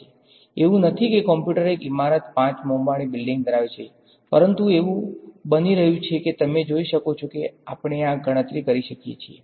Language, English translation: Gujarati, It is not that a computer occupies a building a five story building, but it is getting that you can see that we can do this calculation